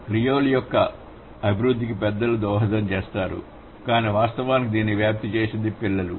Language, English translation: Telugu, So, the adults, they contribute for the development of Creole, but it's actually the children who spread it